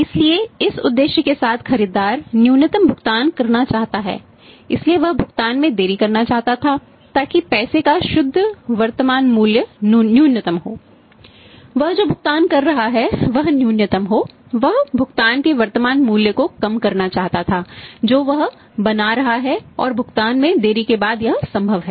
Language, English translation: Hindi, So, this is objective buyer want to pay minimum so, he wanted to delay the payment so that the net present value of the money is make in the present value of the money he is the payment is making that is minimum he wanted to minimise the present value of the payment which he is making and that is possible after delaying the payment